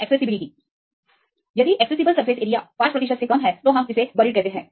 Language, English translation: Hindi, Accessible surface area, you can see the less than 5 percent; we can see this buried